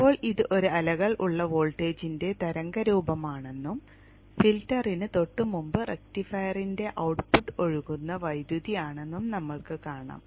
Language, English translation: Malayalam, Now we see that this is the wave shape of the voltage with a ripple and this is the current that is flowing output of the rectifier just before the filter